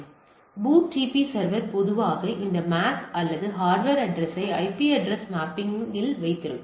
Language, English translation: Tamil, So, the BOOTP server typically holds this MAC or the hardware address to IP address mapping